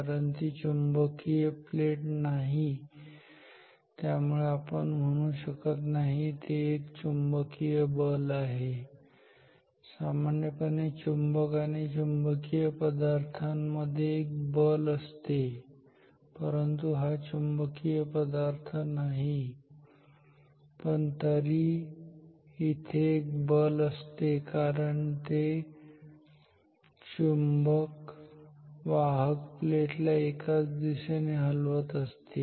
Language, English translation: Marathi, So, because it is not a magnetic plate, so we cannot say its the force usual force between a magnet and a magnetic material, no because this is a non magnetic material, but still there is a force as this magnet moves the conductor conducting plate also moves in the same direction ok